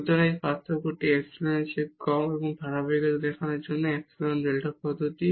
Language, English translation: Bengali, So, that this difference is less than epsilon and that is the epsilon delta approach for showing the continuity